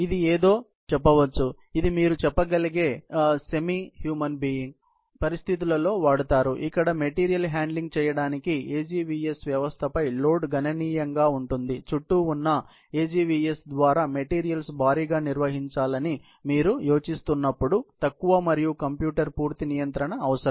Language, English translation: Telugu, So, this is something, which is more semi human you can say, but you know, used in situations, where the load on the AGVS system for doing material handling is substantially, lower and computer complete control would be needed when you are planning to have bulk handling of the materials through the AGVS around